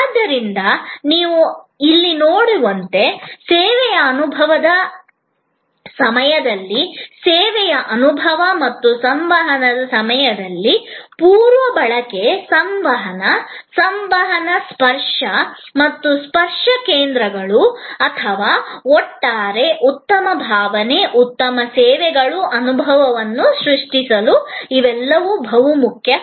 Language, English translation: Kannada, So, as you can see here, both pre consumption, communication, communication and touch points during the service experience and communication after the service incidence or are all very important to create an overall good feeling, good services, experience